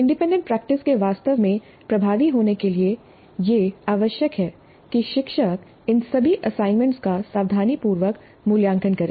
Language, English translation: Hindi, For the independent practice to be really effective, it is essential that the teacher evaluates all these assignments carefully or any other form of activity given